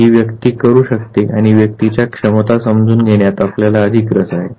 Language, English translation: Marathi, We are more interested in understanding the ability of what this very individual can do